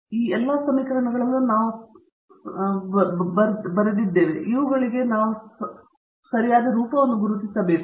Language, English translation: Kannada, We came across all these, in this equation so we have to identify the form for all these